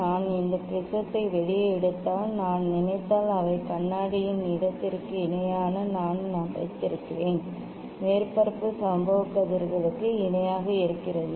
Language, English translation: Tamil, if I take out this prism and if I think that, they mirror I have put that is the parallel to the mirror space, surface is parallel to the incident rays ok